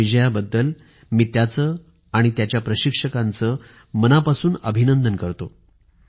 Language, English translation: Marathi, I extend my heartiest congratulations to him and his coach for this victory